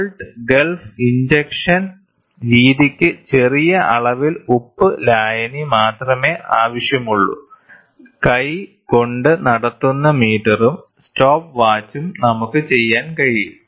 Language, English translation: Malayalam, The salt gulf injection method which requires only a small quantity of salt solution, a hand held conducting meter and the stopwatch we can do it